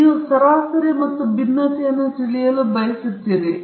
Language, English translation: Kannada, So you would like to know the mean and you would like to know the variance